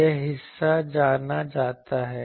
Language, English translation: Hindi, This part is known